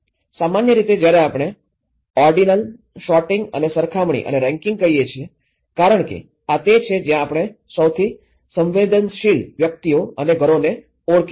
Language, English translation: Gujarati, Ordinal; when we say ordinal, sorting and comparing and ranking because this is where we can identify the most vulnerable individuals and households